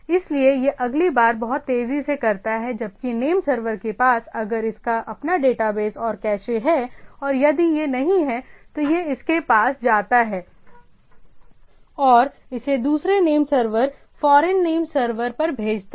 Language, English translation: Hindi, So, that it does it next time much faster where as the name server has a if it is has a own database and cache and if it is not having it goes to it sends it to the other name server foreign name server right